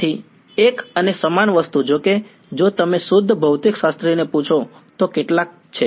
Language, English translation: Gujarati, So, one and the same thing although; if you ask a pure physicist then there are some